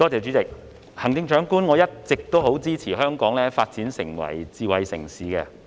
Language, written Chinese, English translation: Cantonese, 主席，行政長官，我一直十分支持香港發展成為智慧城市。, President and Chief Executive I have always been supportive of the development of Hong Kong into a smart city